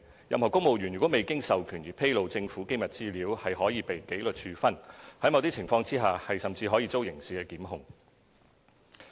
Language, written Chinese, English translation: Cantonese, 任何公務員如未經授權而披露政府機密資料，可被紀律處分，在某些情況下甚至可遭刑事檢控。, Civil servants who have disclosed classified government information without authority is liable to disciplinary proceedings and criminal prosecution in certain circumstances